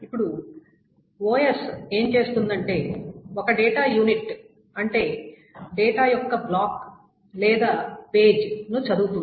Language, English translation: Telugu, Now, what the OS does is that OS reads an unit of data which is the block or page of data